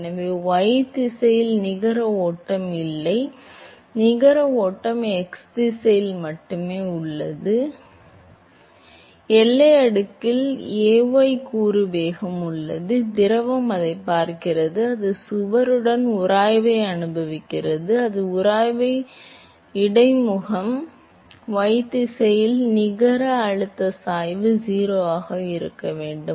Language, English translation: Tamil, So, there is no net flow in y direction, the net flow is only in the x direction, there is a y component velocity in the boundary layer, because the fluid sees it, it experiences a friction with the wall, it experiences a friction with the interface, but the net pressure gradient in y direction should be 0